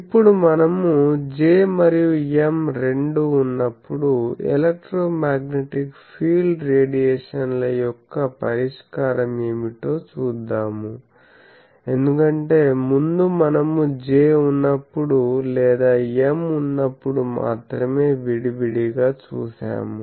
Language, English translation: Telugu, So now, we will see that what is the solution of electromagnetic fields radiated, when both J and M are present because we have seen separately the J is present or M is present